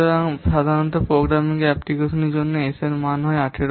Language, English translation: Bengali, So, normally the value for programming applications is 18